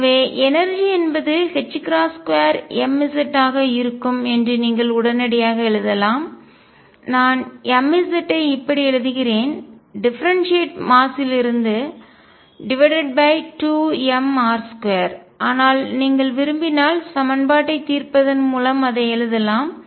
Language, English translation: Tamil, So, you can immediately write that the energy is going to be h cross square m z i am writing m z to differentiate from mass over 2 m r m z 2 square for to r square, but you can also do it if you want by solving the equation